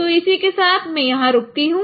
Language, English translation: Hindi, So let me stop here